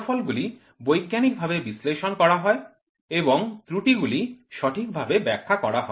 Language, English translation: Bengali, The results are scientifically analyzed and the errors are wisely interpreted